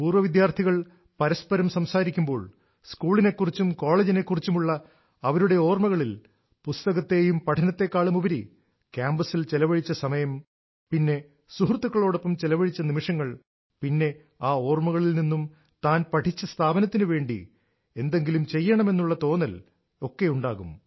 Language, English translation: Malayalam, Whenever alumni interact with each other, in their memories of school or college, greater time is given to reminiscing about time on campus and moments spent with friends than about books and studies, and, from these memories, a feeling is bornto do something for the institution